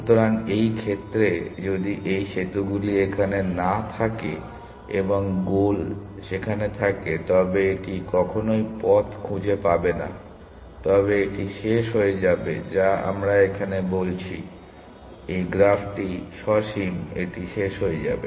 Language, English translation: Bengali, So, in this case, if these bridges are not there and the goal was there it would never a find the path, but it would terminate that is all we are talking about here essentially; the graph is finite, it will terminate